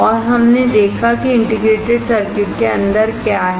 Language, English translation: Hindi, And we have seen what is inside the integrated circuit